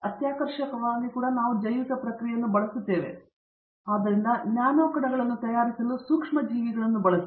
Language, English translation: Kannada, Excitingly also we are using bio processing, so using microbes to actually prepare nano particles